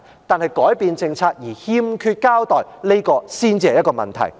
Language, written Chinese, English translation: Cantonese, 但是，改變政策而欠缺交代，這才是問題。, A change in policy is not a problem per se but a change in policy without any explanation is the problem